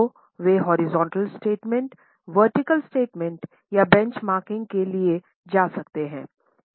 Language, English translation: Hindi, So, they may either go for horizontal statement, vertical statement or benchmarking